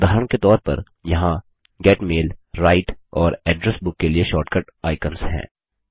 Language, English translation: Hindi, For example, there are shortcut icons for Get Mail, Write, and Address Book